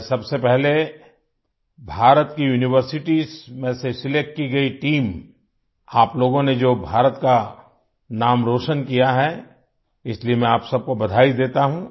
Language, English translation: Hindi, First of all, I congratulate the team selected from the universities of India… you people have brought glory to the name of India